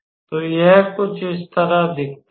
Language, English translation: Hindi, So, it looks something like this all right